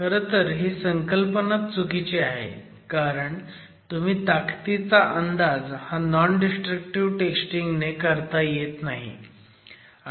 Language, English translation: Marathi, In fact that phrase itself is not appropriate because you can't estimate strength from non destructive testing